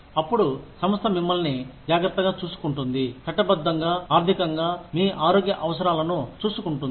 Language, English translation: Telugu, Then, the organization takes care of you, legally, financially, takes care of your health needs, etcetera